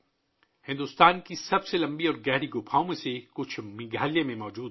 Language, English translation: Urdu, Some of the longest and deepest caves in India are present in Meghalaya